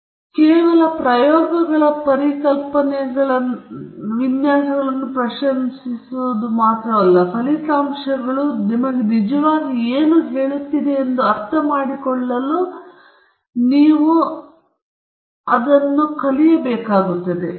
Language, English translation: Kannada, Only then we will be able to appreciate the design of experiments concepts and understand what the results are actually telling us